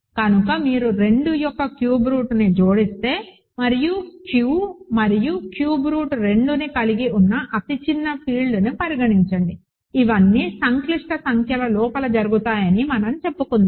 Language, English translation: Telugu, So, this says that cube root of if you add a cube root of 2 and consider the smallest field containing Q and cube root of 2, these all happening inside complex numbers let us say